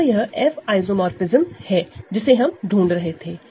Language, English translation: Hindi, So, this is the F isomorphism we are looking for right that is clear